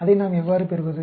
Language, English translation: Tamil, How do we get that